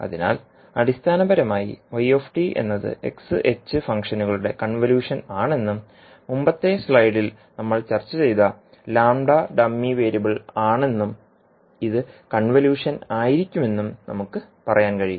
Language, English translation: Malayalam, So we can say that basically the yt is convolution of x and h functions and the lambda which we discussed in the previous slide was dummy variable and this would be the convolution